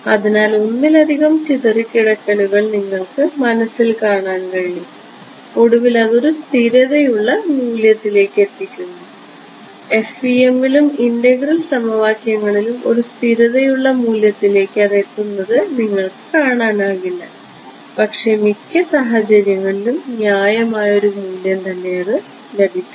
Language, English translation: Malayalam, So, you can visualize multiple scatterings is happening and then finally, reaching a steady state value in your FEM and integral equations you do not get to see that beauty you just get final steady state solution and which is reasonable in most cases reasonable ok